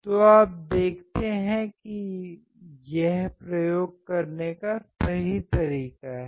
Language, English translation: Hindi, So, you see this is a right way of performing the experiments